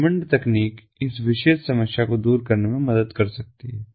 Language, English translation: Hindi, this technology, the waymond technology, can help in addressing this particular problem